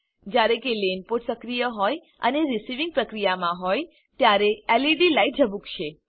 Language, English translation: Gujarati, The LED light will blink, when the LAN port is active and receiving activity